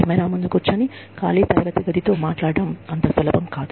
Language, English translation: Telugu, It is not easy, sitting in front of a camera, and talking to an empty classroom